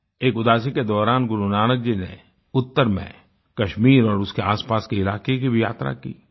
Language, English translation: Hindi, During one Udaasi, Gurunanak Dev Ji travelled north to Kashmir and neighboring areas